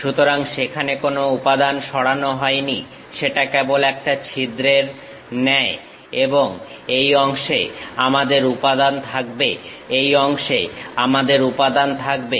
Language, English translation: Bengali, So, there is no material removed that is just like a bore and this part we will be having material, this part we will be having material